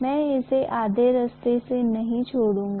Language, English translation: Hindi, I cannot leave it halfway through